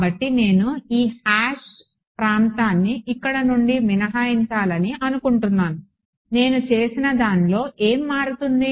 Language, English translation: Telugu, So, supposing I want to exclude this hashed region from here, what would change in what I have done